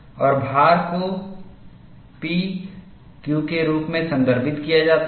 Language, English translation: Hindi, And the load is referred as P Q